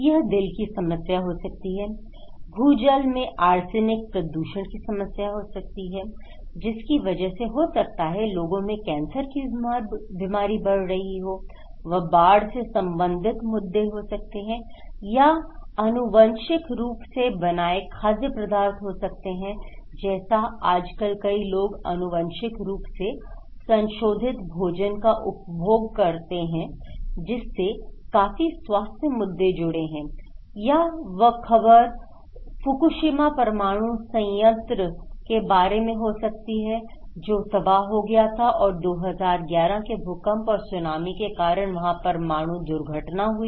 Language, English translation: Hindi, It could be a heart problem, it could be arsenic contaminations of groundwater and that’s causing the cancers to the people or it could be flood related issues or it could be genetically modified food like many people and nowadays exposed to genetically modified food and they are having a lot of health issues or could be Fukushima nuclear plant that was devastated and nuclear accident took place by 2011 earthquake and Tsunami